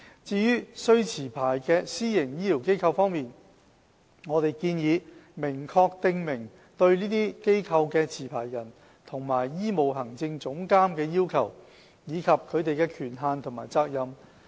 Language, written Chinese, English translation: Cantonese, 至於須持牌的私營醫療機構方面，我們建議明確訂明對這些機構的持牌人和醫務行政總監的要求，以及他們的權限和責任。, As regards licensed PHFs we propose that the requirements authorities and responsibilities of the licensee and the chief medical executive should be set out explicitly